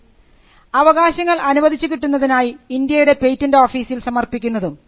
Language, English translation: Malayalam, The ordinary application is an application which you would make, before the Indian patent office, expecting a grant of a patent, which will have operation only in India